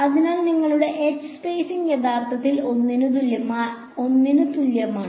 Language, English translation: Malayalam, So, the spacing your h is actually just equal to 1